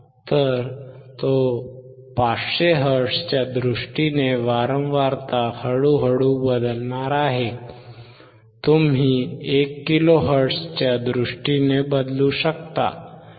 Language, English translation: Marathi, So, he is going to change slowly in terms of 500 can you change in terms of 1 kilohertz